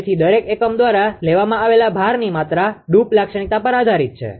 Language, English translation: Gujarati, So, the amount of load picked up by each unit depends on the droop characteristic